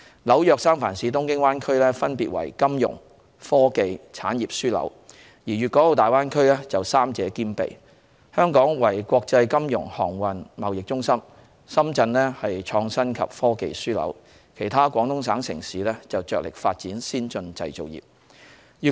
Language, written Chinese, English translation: Cantonese, 紐約、三藩市、東京灣區分別為金融、科技、產業樞紐，而大灣區則三者兼備：香港為國際金融、航運、貿易中心；深圳為創新及科技樞紐，而其他廣東省城市則着力發展先進製造業。, The New York metropolitan area the San Francisco Bay Area and the Tokyo Bay Area are respectively a financial hub a technology hub and an industry hub whereas the Greater Bay Area is a combination of the three Hong Kong is an international financial centre maritime centre and trade centre; Shenzhen is an innovation and technology hub and other Guangdong cities are focusing on the development of an advanced manufacturing industry